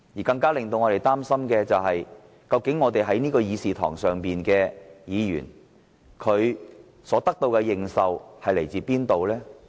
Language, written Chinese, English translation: Cantonese, 更令我們擔心的是，這議事堂上的議員所得的認受性，究竟從何而來？, But where does the legitimacy of Members in this Council come from? . It is a question that worries us more